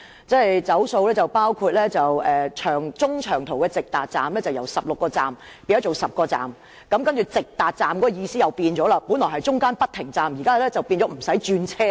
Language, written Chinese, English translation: Cantonese, "走數"範圍包括中長途的直達站由16個變為10個，而直達站的意思亦改變了，本來是指中途不停站，現在則變成無需轉車。, The promises broken include the decrease in the number of destinations for long - haul and direct train services from 16 to 10 and the alteration of the meaning of direct train services from reaching various destinations with no intermediate stops to travelling to these places without interchanging